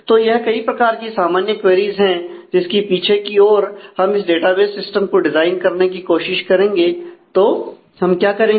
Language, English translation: Hindi, So, these are the typical queries against which in the backdrop of which we will try to design the database system